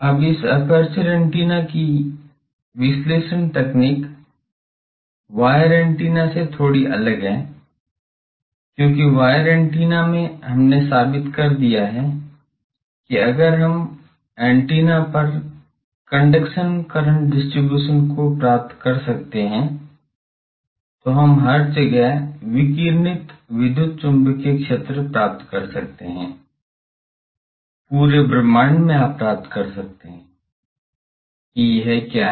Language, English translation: Hindi, So, all these are examples of aperture antenna Now, the class the analysis technique for this aperture antennas is a bit different from wire antennas, why because wire antennas we have proved that if we can find the conduction current distribution on the antenna, then we can find the radiated electromagnetic field everywhere in the planet, in the whole universe you can find that what is it